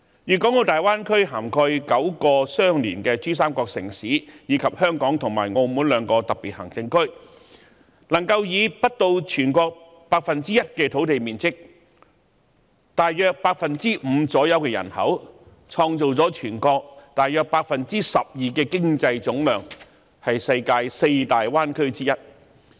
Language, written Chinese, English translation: Cantonese, 粵港澳大灣區涵蓋9個相連的珠三角城市，以及香港和澳門兩個特別行政區，能夠以不到全國 1% 的土地面積及約 5% 的人口，創造了全國約 12% 的經濟總量，是世界四大灣區之一。, The Greater Bay Area covers nine adjoining cities in PRD and the two Special Administrative Regions of Hong Kong and Macao . It occupies less than 1 % of the land area of our country and accounts for about 5 % of the population only but it has made up 12 % of the aggregate economic volume making it one of the four major bay areas in the world